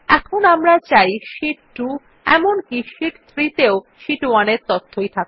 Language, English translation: Bengali, Now we want Sheet 2 as well as Sheet 3 to show the same data as in Sheet 1